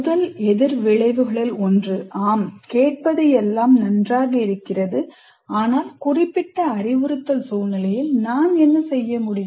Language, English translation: Tamil, One of the first reactions is likely to be, yes, it's all nice to hear, but what can I do in my particular instructional situation